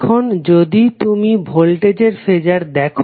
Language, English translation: Bengali, Now if you see Phasor for voltage